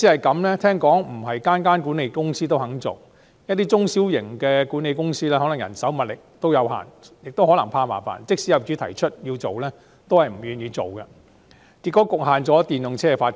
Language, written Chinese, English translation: Cantonese, 據聞不是每間管理公司也願意安裝充電設施，一些中小型管理公司可能由於人手、物力有限，或由於怕麻煩，即使有業主要求安裝，也不願意，因此局限了電動車的發展。, I learn that not all property management company is willing to install charging facilities; some small and medium property management companies refused to install charging facilities despite the request of owners . The reasons might be insufficient manpower and resources or fear of trouble . This has hindered the development of electric vehicles